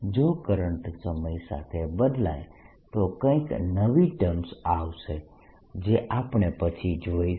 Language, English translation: Gujarati, if current changes with time, new terms come in which we'll see later